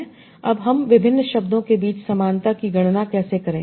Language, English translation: Hindi, Now how do I compute the similarity between different words